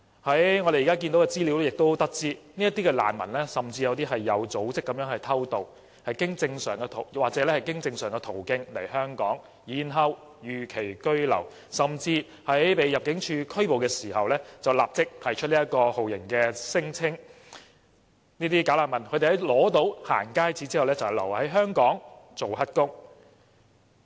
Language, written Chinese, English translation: Cantonese, 從現時的資料得知，甚至有部分"假難民"是有組織地偷渡，又或經正常途徑來港然後逾期居留，甚至在被入境事務處拘捕時，便立即提出酷刑聲請，在取得"行街紙"後便留在香港做"黑工"。, According to available information some bogus refugees illegally entered Hong Kong in an organized manner; and some entered Hong Kong through legitimate channels but overstayed in the territory and some even lodged torture claims immediately after being arrested by Immigration officers . They stayed in Hong Kong working as illegal workers when they received a going - out pass